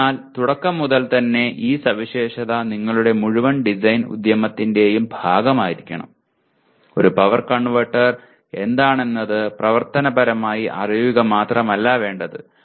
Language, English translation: Malayalam, So right from the beginning, this specification should be part of your entire design exercise, not just functionally what a power converter is